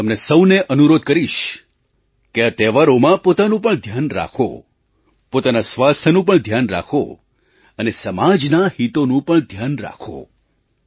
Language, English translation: Gujarati, I would request all of you to take best care of yourselves and take care of your health as well and also take care of social interests